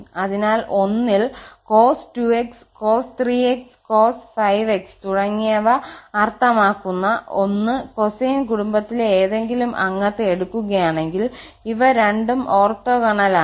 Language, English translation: Malayalam, So, here we have seen that with 1 if we take any member of the cosine family that means the cos x, cos 2x, cos 3x, cos 5x etc, these two are orthogonal